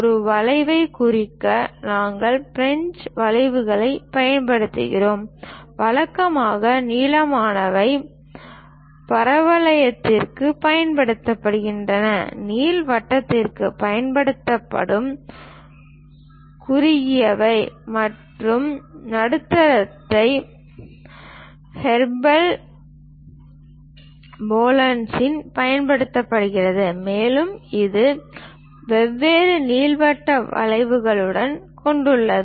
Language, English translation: Tamil, To represent a curve, we use French curves; usually, the longer ones are used for parabola ; the shorter ones used for ellipse and the medium ones are used for hyperbolas, and also, it contains different elliptic curves also